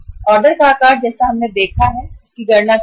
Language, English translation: Hindi, Order size as we have seen how to calculate it